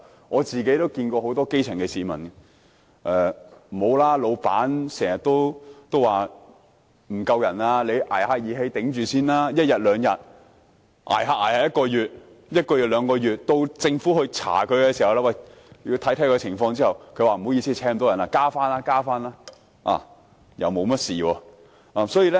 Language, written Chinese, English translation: Cantonese, 我聽到很多基層市民表示，老闆經常說人手不足，叫他們"捱義氣"支撐一兩天，漸漸便是1個月、1個月變2個月；到政府進行調查時，老闆便回應："不好意思，我聘請不到人，之後會增聘人手"，然後便不了了之。, I have heard many grass - roots people say that their employers would often complain of manpower shortages and ask them to take up the job for a couple of days and then one or two months afterwards . When the Government conducts inquiries the employers will respond by saying Sorry it was difficult to recruit hands . I will recruit additional staff later